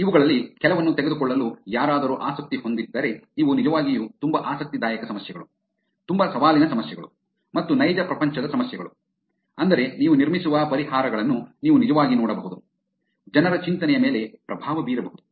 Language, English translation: Kannada, If anybody is interested in taking up some of these, these are actually very interesting problems, very challenging problems also and very real world problems which is, you can actually look at the solutions that you build, becoming / influencing people’s thinking